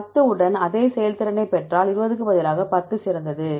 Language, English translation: Tamil, Instead of 20 if you get the same performance with 10, then 10 is better